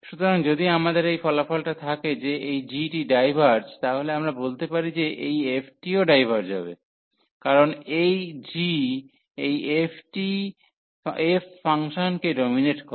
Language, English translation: Bengali, So, if we have the result that this g diverges, so we can tell something about the integral f which will also diverge, because this g the f is dominating function